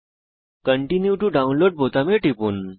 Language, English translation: Bengali, Click on the Continue to Download button